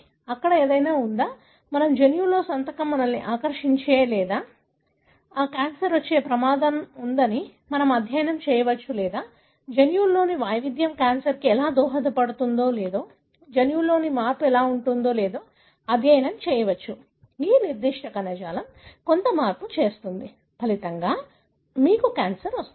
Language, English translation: Telugu, Is there anything that is there, signature in our genome that makes us susceptible or at risk of developing cancer, we can study or we can study even how variation in the genome may contribute to cancer or how change in the genome, even within a individual certain tissue, some change happens; as a result you have cancer